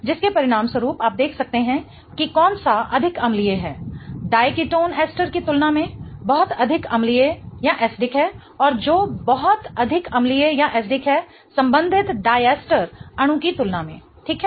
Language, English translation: Hindi, As a result of which you can see which one is much more acidic, the dichetone is much more acidic than the ester and which is much more acidic than the corresponding diester molecule